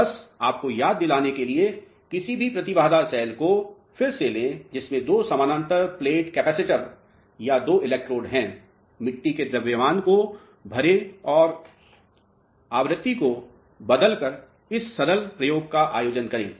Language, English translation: Hindi, So, just to remind you again take any impedance cell which has two parallel plate capacitors or two electrodes, fill up the soil mass, conduct this simple experiment by changing the frequency of AC